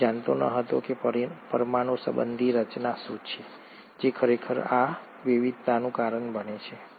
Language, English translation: Gujarati, He did not know what is the molecular mechanism which actually causes this variation